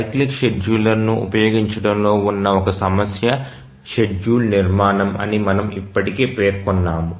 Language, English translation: Telugu, We have already mentioned that one complication in using a cyclic scheduler is constructing a schedule